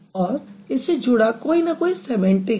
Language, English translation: Hindi, So, it's going to be inherent semantics